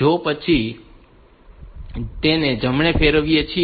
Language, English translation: Gujarati, So, then we rotate right